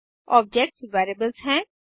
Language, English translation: Hindi, Objects are variables